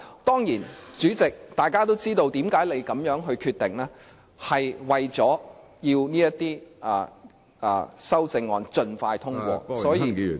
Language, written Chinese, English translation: Cantonese, 當然，大家都知道，主席作出這樣決定的原因，是為了要讓這些修正案盡快通過，所以......, Of course we all well understand that the Presidents decision aims to facilitate the expeditious passage of these amendments . So